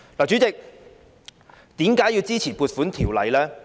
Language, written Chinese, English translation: Cantonese, 主席，為何要支持《條例草案》呢？, Chairman why should we support the Bill?